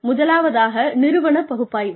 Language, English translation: Tamil, The first is organizational analysis